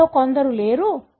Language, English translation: Telugu, Some of them are absent